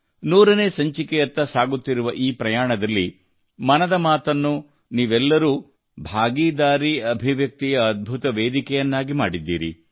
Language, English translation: Kannada, In this journey towards a century, all of you have made 'Mann Ki Baat' a wonderful platform as an expression of public participation